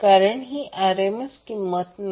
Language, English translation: Marathi, Because, this is not the RMS value